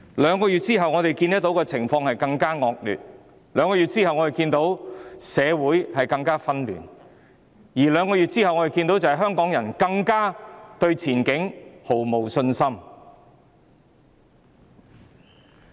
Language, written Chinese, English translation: Cantonese, 兩個月後，我們看到情況更惡劣；兩個月後，我們看到社會更紛亂；兩個月後，我們看到香港人對前景更是毫無信心。, Two months down the line we see a worsening situation; two months down the line we see more chaos in society; two months down the line we see a complete lack of confidence of Hongkongers in the future prospects